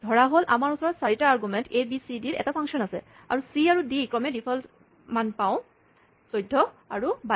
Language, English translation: Assamese, Suppose we have a function with 4 arguments a, b, c, d and we have, c has the default value 14, and d has a default value 22